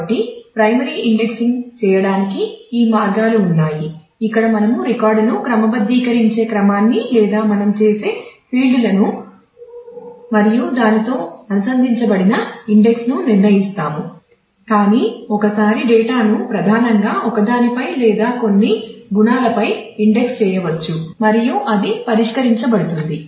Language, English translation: Telugu, So, these were the ways to do the primary indexing where we decide the order in which we actually keep the record sorted or the fields on which we do that and the index associated with it, but once since the data can be primarily indexed on one or couple of attributes and that gets fixed